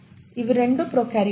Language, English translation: Telugu, Both of them are prokaryotes